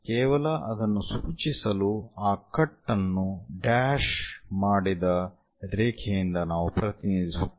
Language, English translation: Kannada, To just indicate that we represent that cut by a dashed line